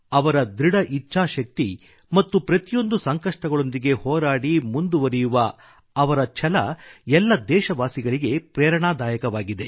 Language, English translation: Kannada, Their grit & determination; their resolve to overcome all odds in the path of success is indeed inspiring for all our countrymen